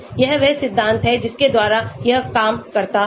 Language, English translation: Hindi, This is the principle by which it works